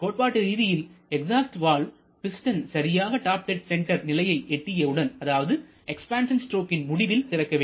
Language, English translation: Tamil, Theoretically the exhaust valve should open when the piston reaches the top dead center at the end of expansion process